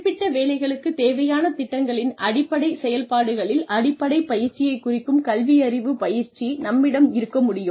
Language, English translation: Tamil, We can have literacy training, which refers to basic training, in the rudimentary functions of programs, required for specific jobs